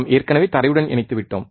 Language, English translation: Tamil, And we already have grounded